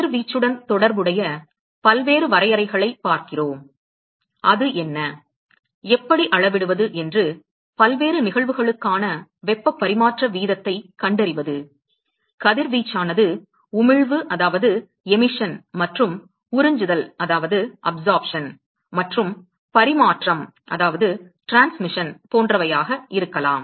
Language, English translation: Tamil, We look at various definitions associated with radiation, we look at what is the, how to quantify that is how to find the heat transfer rate for various cases, radiation could be emission and absorption and transmission etcetera